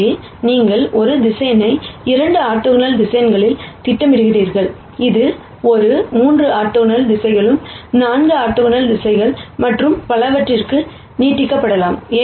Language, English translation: Tamil, So, this is how you project a vector on to 2 orthogonal directions, and this can be extended to 3 orthogonal directions 4 orthogonal directions and so on